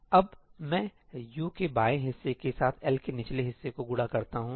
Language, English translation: Hindi, Now, let me multiply the lower part of L with the left part of U